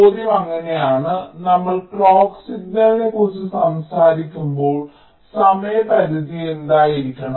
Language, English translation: Malayalam, now the question is so, when we talk about the clock signal, so what should be the time period when the here a few things